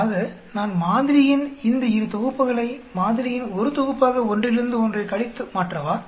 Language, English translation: Tamil, So I will convert these 2 sets of sample into 1 set of sample by subtracting one from another